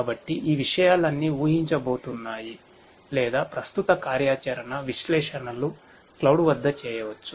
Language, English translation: Telugu, So, all of these things are going to be predictive or current operational analytics can be done at the cloud